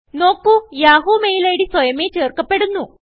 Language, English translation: Malayalam, Notice that the yahoo mail id is automatically filled